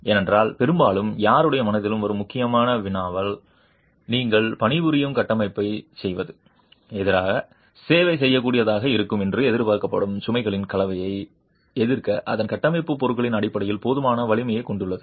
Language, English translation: Tamil, Because very often the important query that comes to anyone's mind is does the structure that you are working on have sufficient strength in terms of its structural materials to resist the combination of loads that is expected to be serviceable against